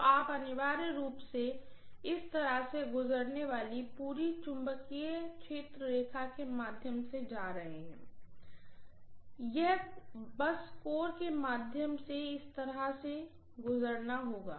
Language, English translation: Hindi, So you are going to have essentially the entire magnetic field line passing like this, through this, it will just pass through this like this, through the core